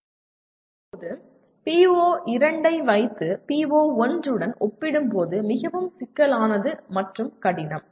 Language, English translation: Tamil, Now coming to PO2 which is lot more complex and difficult compared to PO1